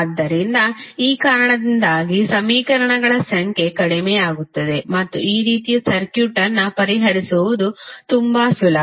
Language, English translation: Kannada, So, because of this the number of equations would be reduced and it is much easier to solve this kind of circuit